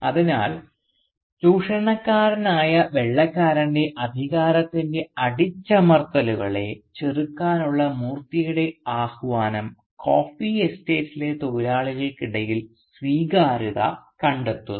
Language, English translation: Malayalam, So Moorthy’s call to resist the oppressions of the authority of the exploitative White man finds ready acceptance among the labourers of the coffee estate